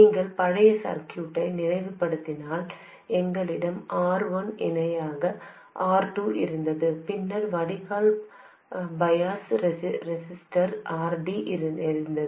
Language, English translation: Tamil, If you recall the old circuit, we had R1 parallel R2 over here, and then we had the drain bias resistor RD over there